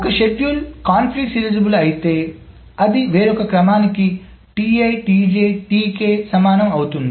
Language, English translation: Telugu, , it is conflict, serialized, but it is equivalent to some serial schedule